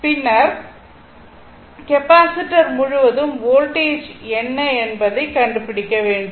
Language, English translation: Tamil, And then, you have to find out what is the voltage across the capacitor